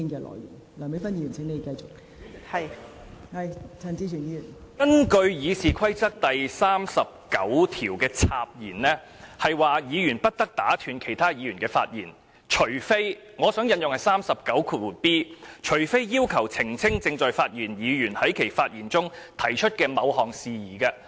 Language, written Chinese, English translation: Cantonese, 代理主席，根據《議事規則》第39條的"插言"，是指議員不得打斷其他議員的發言，除非......我想引用第 39b 條，"除非要求澄清正在發言的議員在其發言中提出的某項事宜"。, Deputy President Rule 39 of the Rules of Procedure entitled Interruptions provides that a Member shall not interrupt another Member except Let me quote Rule 39b except to seek elucidation of some matter raised by that Member in the course of his speech